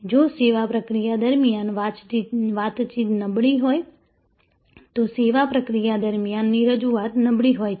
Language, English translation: Gujarati, If the communication during the service process is poor, the presentation during the service process is poor